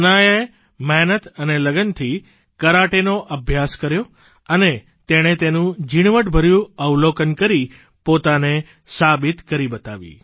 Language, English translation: Gujarati, Hanaya trained hard in Karate with perseverance & fervor, studied its nuances and proved herself